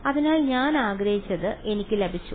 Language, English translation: Malayalam, So, I have got what I wanted